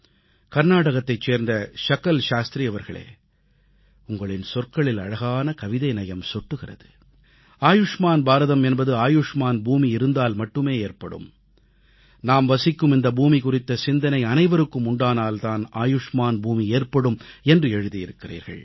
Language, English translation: Tamil, Shriman Sakal Shastriji, you mentioned 'Karnataka'… you beautifully maintained a delicate balance between words when you wrote 'Ayushman Bharat'; 'Long live India' will be possible only when we express 'Ayushman Bhoomi; 'Long live the land'; and that will be conceivable only when we begin feeling concerned about every living being on this land